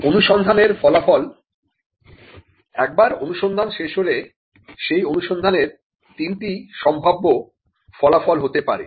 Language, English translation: Bengali, Once a search is done, they could be 3 possible outcomes to that search